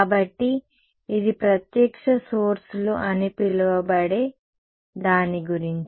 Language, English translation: Telugu, So, this is about what are called direct sources